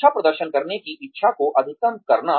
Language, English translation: Hindi, Maximizing the desire to perform well